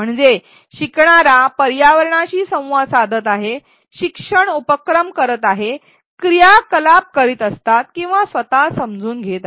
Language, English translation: Marathi, That means, the learner is interacting with the environment doing the learning activities and constructing his or own his or her own understanding while doing the activity